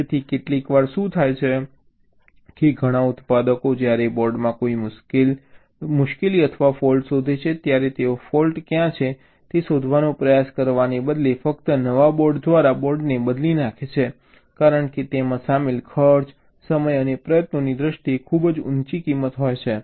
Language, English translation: Gujarati, many of the manufacturers, when they find some fault in a board, they simply replace the board by a new board instead of trying to find out where the fault is right, because the cost involved is pretty higher cost in terms to time and effort